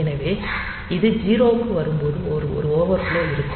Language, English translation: Tamil, So, when it comes to 0, then there is an overflow